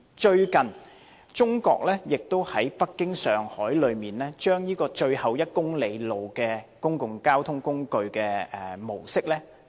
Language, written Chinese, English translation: Cantonese, 最近，中國亦在北京和上海引入最後1公里公共交通工具的模式。, The public transport model for the last kilometre was also introduced in Beijing and Shanghai recently